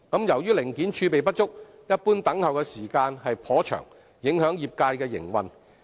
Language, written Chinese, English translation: Cantonese, 由於零件儲備不足，一般等候時間頗長，影響業界營運。, Due to the insufficiency of spare parts the general waiting time is rather long thereby affecting the business operation of the trades